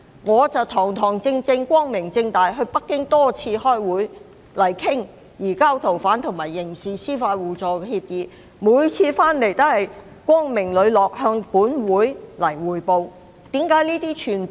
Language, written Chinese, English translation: Cantonese, 我堂堂正正，光明正大，多次前往北京開會，討論移交逃犯及刑事司法互助協議，每次回港也光明磊落地向本會匯報。, In an open and above board manner I attended numerous meetings in Beijing to discuss an agreement on the rendition of fugitive offenders and mutual legal assistance in criminal matters . Every time I returned to Hong Kong I would brief this Council in an open and candid manner